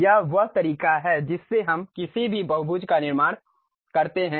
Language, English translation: Hindi, This is the way we construct any polygon